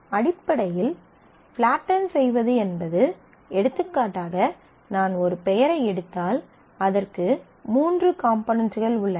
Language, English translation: Tamil, So, flattening basically is for example, if I take a name it has 3 components